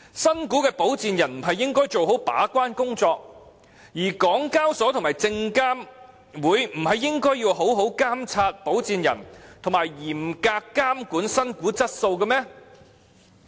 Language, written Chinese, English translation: Cantonese, 新股的保薦人不是應該做好把關工作，而港交所及證監會不是應該好好監察保薦人及嚴格監管新股質素嗎？, Should sponsors of new shares properly perform their gatekeeping role and should HKEx and SFC properly monitor the performance of sponsors and impose stringent control on the quality of new shares?